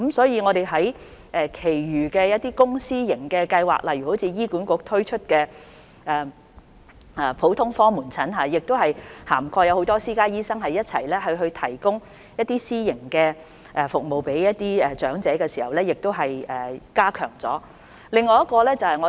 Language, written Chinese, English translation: Cantonese, 因此，我們提出其他公私營計劃，例如醫院管理局推出的普通科門診公私營協作計劃，當中涵蓋不少私家醫生，以便向長者提供私營服務，從而加強這方面的服務。, We have thus introduced other public - private partnership schemes such as the General Outpatient Clinic Public - private Partnership Programme launched by the Hospital Authority to include a large number of private doctors to provide the elders with private health care services thereby strengthening the services in this area